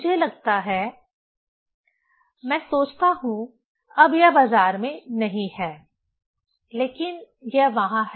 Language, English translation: Hindi, I feel, I think, now it is not in market, but it is there